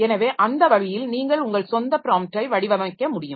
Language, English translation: Tamil, So that way you can design your own prompt also in some system